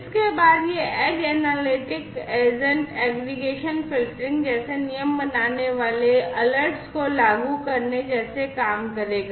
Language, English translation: Hindi, There after this edge agent analytics agent will do things like aggregation filtering applying the rules generating alerts and so on